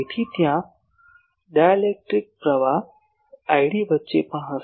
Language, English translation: Gujarati, So, there will be also in between dielectric currents i d